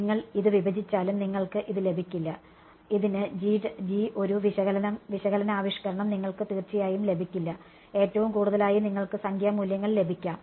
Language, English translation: Malayalam, Even if you discretize it you cannot get a you can definitely not get a analytical expression for this G at best you can get numerical values for this